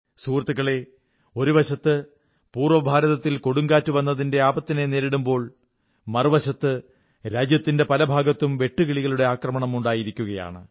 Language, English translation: Malayalam, on the one side where Eastern India is facing cyclonic calamity; on the other many parts of the country have been affected by locust attacks